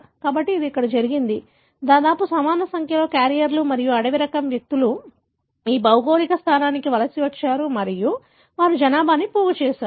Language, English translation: Telugu, So, it so happened here, almost equal number ofcarriers and individuals having wild type migrated to thisgeographical location and they seeded the population